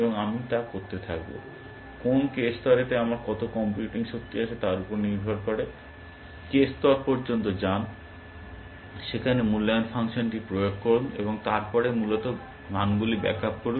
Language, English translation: Bengali, And I will keep doing that, to some k ply, depending on how much computing power I have, go up to the k ply, apply the evaluation function there, and then back up the values essentially